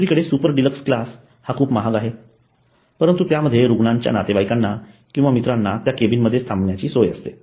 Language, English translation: Marathi, On the other hand super dealers class is very costly and but it has the provision of keeping the patients relatives or friends in that cabin itself